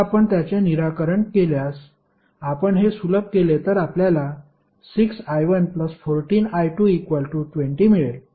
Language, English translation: Marathi, Now, if you solve it, if you simplify it you get 6i 1 plus 14i 2 is equal to 0